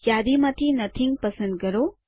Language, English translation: Gujarati, Select Nothing from the list